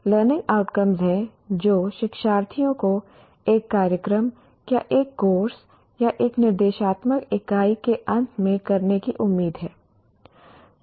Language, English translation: Hindi, Learning outcomes are what the learners are expected to do at the end of a program or a course or an instructional unit